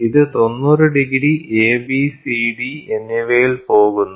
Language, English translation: Malayalam, So, it goes at 90 degrees A, B, C and D